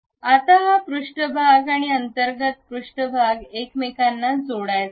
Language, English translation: Marathi, Now, this surface and internal surface, they are supposed to meet each other